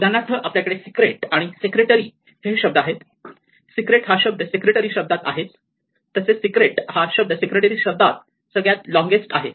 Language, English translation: Marathi, For instance, here we have secret and secretary and secret is already also inside secretary and clearly secret is the longest word in secret itself